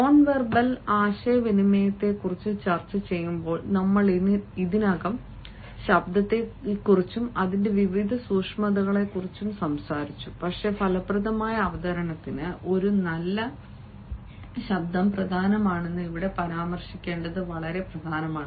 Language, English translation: Malayalam, we have already talked about the voice and its various nuances when we were discussing the nonverbal communication, but then it is very important to mention here that a good voice is also important for an effective presentation